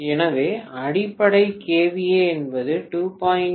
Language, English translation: Tamil, So base kVA is 2